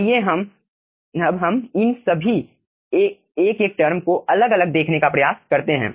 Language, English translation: Hindi, let us now try to see all these individual terms separately